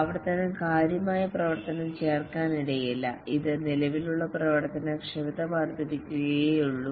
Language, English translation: Malayalam, Iteration may not add significant functionality, it may just only enhance the existing functionality